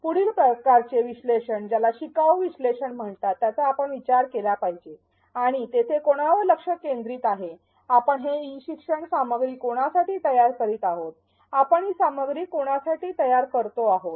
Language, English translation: Marathi, The next type of analysis that we need to consider is what is called learner analysis and there the focus is on the whom; for whom are we designing this e learning, for whom are we designing the content